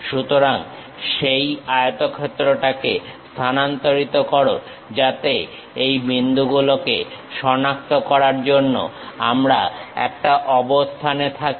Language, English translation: Bengali, So, transfer that rectangle so that we will be in a position to identify these points